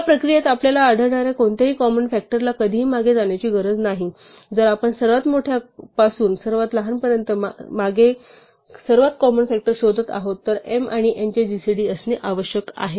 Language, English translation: Marathi, And in this process we do not have to ever go past any common factor that we find, if we are working backwards from largest to smallest the very first common factor we find must be in fact the gcd of m and n